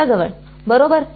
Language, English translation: Marathi, Near the sources